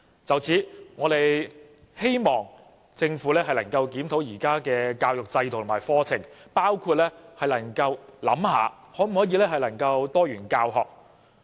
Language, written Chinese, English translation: Cantonese, 就此，我們希望政府能夠檢討現行教育制度及課程，包括思考可否推動多元教學。, Against this background we hope the Government can review the existing education system as well as the curriculum such as from the perspective of promoting diversified learning